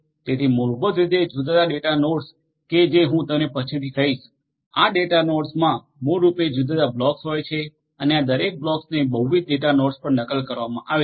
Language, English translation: Gujarati, So, basically the different data nodes which I will tell you later on, this data nodes basically have different blocks and each of these blocks is replicated across multiple data nodes